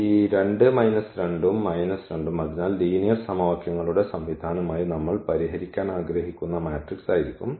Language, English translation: Malayalam, So, here this 2 minus 2 and minus 2, so that will be the matrix there which we want to solve as the system of linear equations